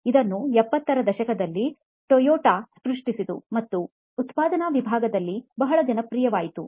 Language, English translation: Kannada, This was coined by Toyota in the 70s and became very popular in the shop floor